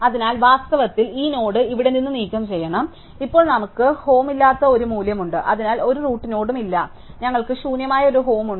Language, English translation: Malayalam, So, we must in fact to remove the node here this node as to go, so now we have a value which is homeless, it does not have a root node to belong to and we have a home which is empty